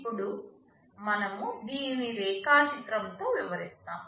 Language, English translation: Telugu, Now, this we are illustrating with a diagram like this